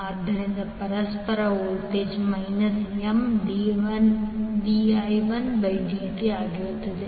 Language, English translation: Kannada, So the mutual voltage will be minus M dI 1 by dt